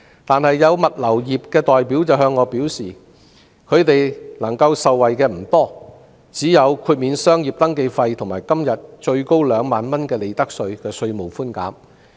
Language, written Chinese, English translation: Cantonese, 然而，有物流業的代表向我表示，他們能夠受惠的不多，只有豁免商業登記費和今天最高2萬元的利得稅稅務寬免。, However representatives of the logistic industry told me that their benefits were insignificant as the relief measures only included the waiving of the business registration fee and the profits tax concession capped at 20,000 under discussion today